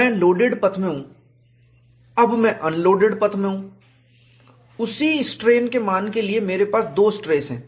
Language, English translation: Hindi, I am in the loaded path; when I am in the unloaded path, for the same strain value, I have a different stress